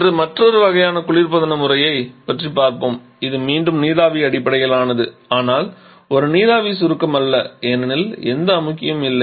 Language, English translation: Tamil, Now today I shall be talking about another kind of refrigeration system, which is again vapour best but not a vapour compression one because there is no compressor at all